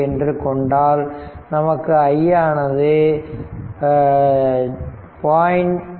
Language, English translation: Tamil, 2 directly, you will get it will be 0